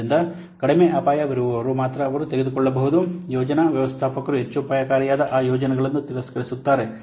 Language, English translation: Kannada, So, only those which are less risky they may take, which are more risky the project manager just simply what rejects those projects